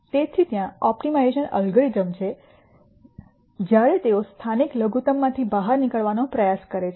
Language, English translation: Gujarati, So, there are optimization algorithms which, when they try to get out of the local minimum